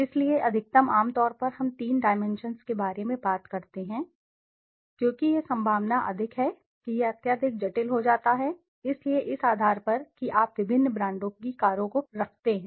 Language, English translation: Hindi, So maximum generally we talk about three dimensions because that s the possibility more than that it become highly complex, so on basis of this suppose you place different brands of cars